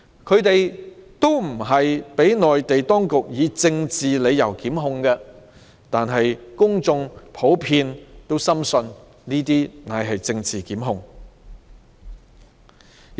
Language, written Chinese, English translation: Cantonese, 他們不是被內地當局以政治理由檢控，但公眾普遍深信，這些都是政治檢控。, Even though they were not prosecuted by the Mainland authorities for political reasons the public are generally convinced that these are political prosecutions